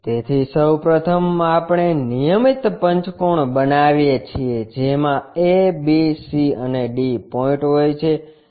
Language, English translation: Gujarati, So, first of all, we make a regular pentagon having a, b, c and d points